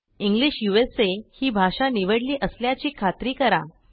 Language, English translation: Marathi, Check that English USA is our language choice